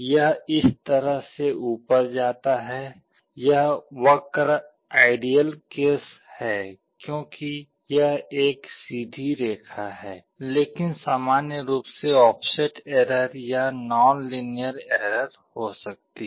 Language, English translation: Hindi, It goes up like this, this curve is for ideal case because this is a straight line, but in general there can be offset error or nonlinearity error